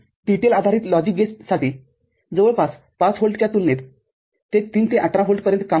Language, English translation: Marathi, From 3 to 18 volt compared to near about 5 volt for TTL based logic gates